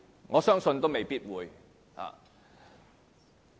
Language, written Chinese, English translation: Cantonese, 我相信也未必會。, I think he might not do so